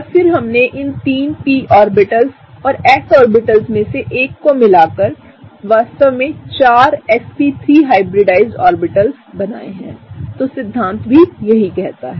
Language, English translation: Hindi, And then we combined these three p orbitals and one of the s orbitals to really form 4 sp3 hybridized orbitals right; so that’s what the theory says